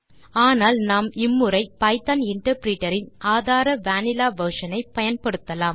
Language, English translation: Tamil, But this time let us try it in the vanilla version of Python interpreter